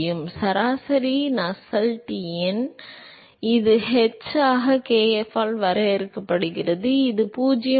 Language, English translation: Tamil, So, so the average Nusselts number, which is defined as h into l by kf that is given by 0